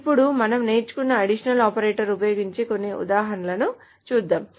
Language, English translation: Telugu, Now let us go over some examples that uses the additional operators that we learn